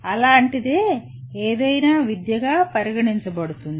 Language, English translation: Telugu, Anything like that is considered education